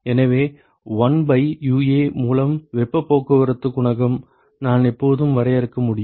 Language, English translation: Tamil, So, I can always define the heat transport coefficient 1 by UA